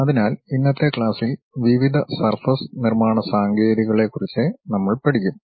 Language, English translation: Malayalam, So, in today's class we will learn about various surface construction techniques